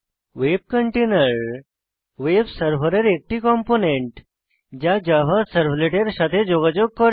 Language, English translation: Bengali, A web container is a component of the web server that interacts with Java servlets It is also known as servlet container